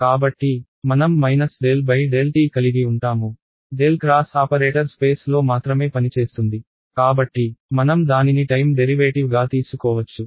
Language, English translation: Telugu, So, I will have minus del by del t, the del cross operator acts only in space so I can take it across the time derivative alright